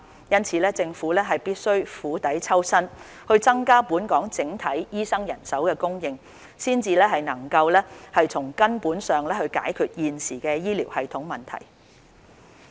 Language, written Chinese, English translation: Cantonese, 因此，政府必須釜底抽薪，增加本港整體醫生人手供應，才能夠從根本上解決現時醫療系統的問題。, Therefore the Government must take the decisive step to increase the overall supply of doctors in Hong Kong . Only by doing so can we solve the current problems in our healthcare system at root